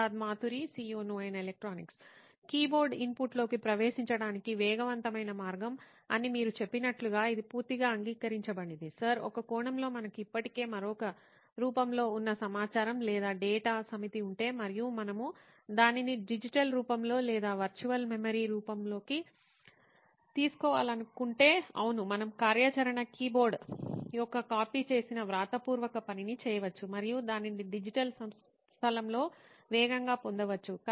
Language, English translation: Telugu, Like you said keyboard is a fast way of entering input this is completely agreed Sir, in a sense if we have a set of information or data already existing in another form and we want to take it into a digital form or a virtual memory form, yes we can do a copied writing kind of an activity keyboard and fastly get it on the digital space